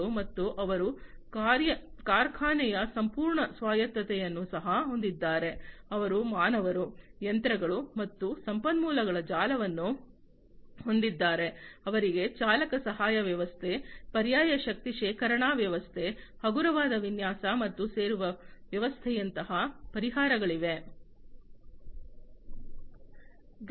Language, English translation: Kannada, And they also have the full autonomy of factory, they have a network of humans, machines and resources, they have solutions like driver assistance system, alternative energy storage system, lightweight design, and joining system